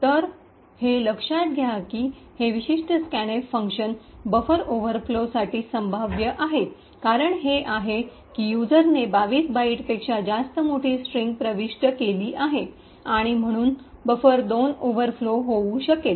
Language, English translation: Marathi, So, note that this particular scanf function is a potential for a buffer overflow the reason is that the user could enter a large string which is much larger than 22 bytes and therefore buffer 2 can overflow